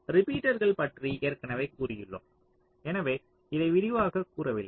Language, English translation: Tamil, repeaters already i have said so, i am not elaborating on this anymore